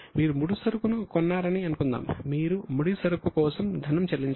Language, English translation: Telugu, Suppose you purchase raw material, you pay for the raw material